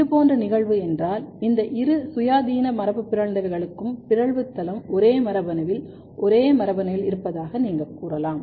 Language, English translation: Tamil, If this is the case, then you can say that these both independent mutants there the mutation site is in the same gene probably in the same gene